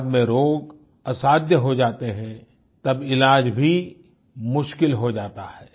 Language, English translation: Hindi, Later when it becomes incurable its treatment is very difficult